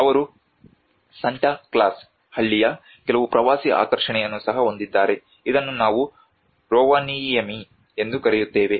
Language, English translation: Kannada, They have also some tourist attractions of Santa Claus village which we call it as Rovaniemi